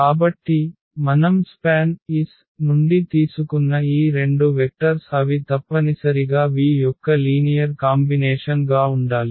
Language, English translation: Telugu, So, these two vectors which we have taken from the span S they must be the linear combination of the v’s